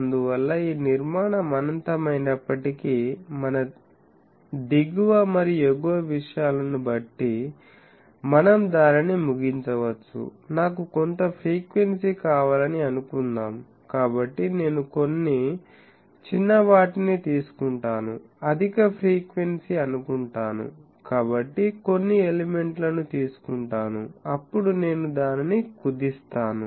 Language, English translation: Telugu, So, that is why it is possible that though this structure is infinite, we can, depending on our lower and upper things, we can terminate it, suppose I want some frequency, so I take few smaller ones, suppose higher frequency, so extract few elements then I truncate it